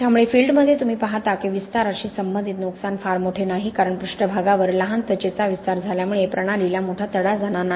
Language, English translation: Marathi, So in field you see that expansion related damage is not extensive because small skin expanding on the surface will not result in a major cracking of the system